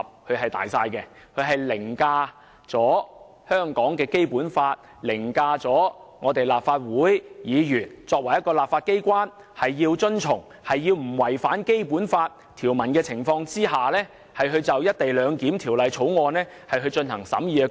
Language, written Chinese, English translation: Cantonese, 《決定》既凌駕於香港的《基本法》之上，也凌駕於立法會作為立法機關須在不違反《基本法》的情況下審議《條例草案》的工作之上。, The Decision does not only override the Basic Law of Hong Kong but also the function of the Legislative Council as a legislature in examining the Bill without contravening the Basic law